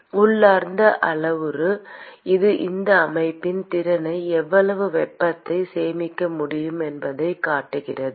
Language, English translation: Tamil, And Cp is the parameter intrinsic parameter which quantifies that capability of that system as to how much heat that it can store